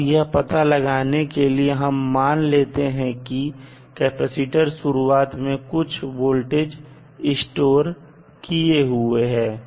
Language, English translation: Hindi, So, for determination let us assume that the capacitor is initially charged with some voltage v naught